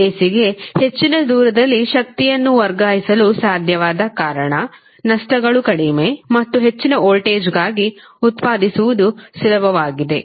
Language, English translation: Kannada, Because AC was able to transfer the power at a longer distance, losses were less and it was easier to generate for a higher voltage